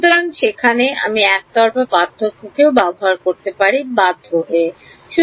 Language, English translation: Bengali, So, there I may be forced to use a one sided difference ok